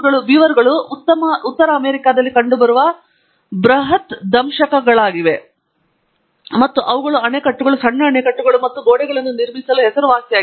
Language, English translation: Kannada, Beavers are this huge rodents that are found in North America and so on, and they are very well known for building dams, small dams, and walls, and so on